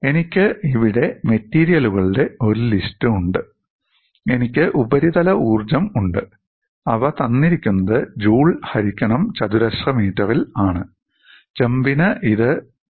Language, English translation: Malayalam, I have a list of material here and I have the surface energy which is given as joules per meter square, and for copper it is 0